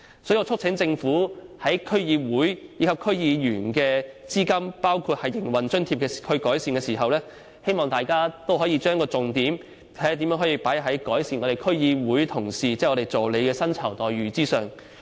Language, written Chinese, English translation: Cantonese, 所以，我促請政府在改善對區議會和區議員的撥款包括營運津貼時，可以把重點放在如何改善區議會同事即議員助理的薪酬待遇上。, So I urge the Government to focus on improving the remuneration package for our assistants in its effort to increase funding including the operating allowances for DCs